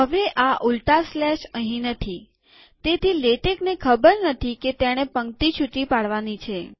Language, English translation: Gujarati, Now these reverse slashes are no longer there, so latex does not know that it has to break the line there